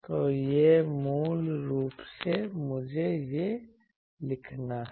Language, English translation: Hindi, So, it is basically let me write it that